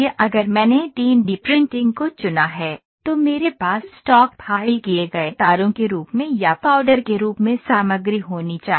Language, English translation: Hindi, If I have chosen 3D printing I should have material in the form of wires filed stock or in the form of powders